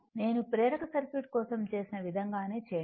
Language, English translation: Telugu, The way I have done for inductive circuit, same way you do it